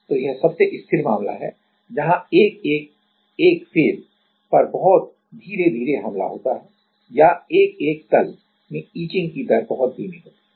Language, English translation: Hindi, So, this is the most stable case where 1 1 1 face get attacked very slowly or the etching rate is very slow in 1 1 1 plane